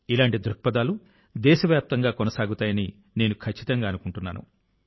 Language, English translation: Telugu, I am sure that such trends will continue throughout the country